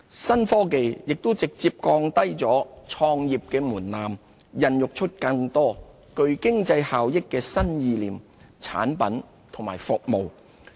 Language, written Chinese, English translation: Cantonese, 新科技也直接降低了創業門檻，孕育出更多具經濟效益的新意念、產品和服務。, New technologies facilitate business start - up and foster new ideas innovative products and services that generate economic benefits